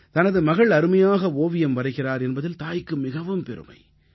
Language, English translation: Tamil, She is proud of her daughter's excellent painting ability